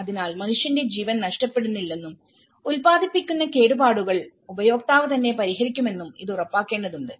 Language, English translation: Malayalam, So, it has to ensure that there is no loss of human life and the damage that the damage produced would be repaired by the user themselves